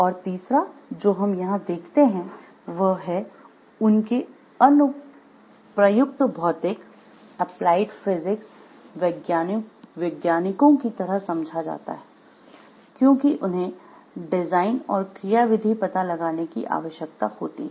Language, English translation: Hindi, Third what we see over here like they are taken to be like applied physical scientists, because they need to work on the design and find out like how it is working